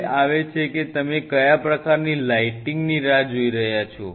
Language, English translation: Gujarati, Now comes what kind of lighting your looking forward to